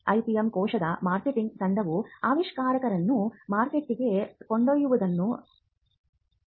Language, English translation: Kannada, The marketing team of the IPM cell does the hand holding to ensure that the invention is taken to the market